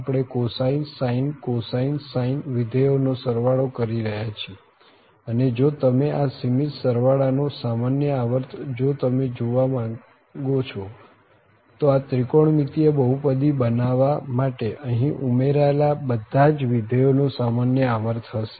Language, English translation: Gujarati, We are adding the cosine sin cosine sine functions, and the common period if you want to see for this finite sum in this case, will be the common period of all these functions which are being added here to construct this such a so called the trigonometric polynomial